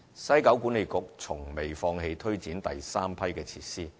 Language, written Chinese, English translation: Cantonese, 西九管理局從未放棄推展第三批設施。, The West Kowloon Cultural District Authority has not given up taking forward the Batch 3 facilities